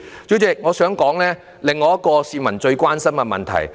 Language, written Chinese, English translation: Cantonese, 主席，我想談另外一個市民非常關心的問題。, Chairman I would like to discuss another great concern of the people